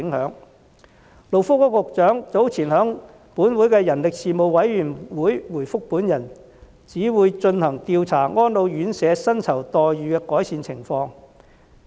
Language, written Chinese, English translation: Cantonese, 勞工及福利局局長早前在立法會人力事務委員會的會議上回覆我，表示會進行調查以了解安老院舍薪酬待遇的改善情況。, In response to my question at the meeting of the Legislative Council Panel on Manpower earlier on the Secretary for Labour and Welfare said that a survey will be conducted to learn more about the improvement of remuneration in RCHEs